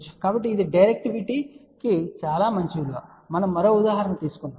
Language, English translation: Telugu, So, that is a very good value of the directivity let us take one more example